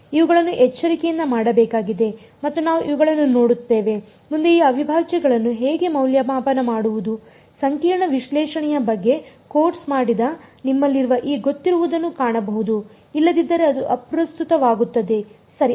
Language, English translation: Kannada, These have to be done carefully and we will look at these next how to evaluate these integrals those of you who have done a course on complex analysis will find some of this familiar if not it does not matter ok